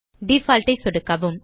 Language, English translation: Tamil, Left click Default